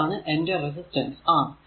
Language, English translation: Malayalam, So, this is a fixed resistance R